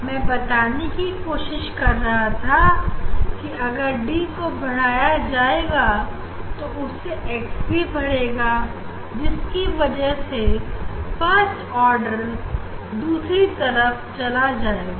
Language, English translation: Hindi, what I am trying to say if D increase this value x also increase for the same order; that means, order this first order will move this other side